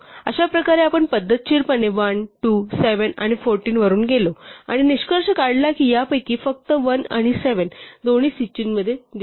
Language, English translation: Marathi, In this way we have systematically gone through 1, 2, 7 and 14 and concluded that of these only 1 and 7 appear in both list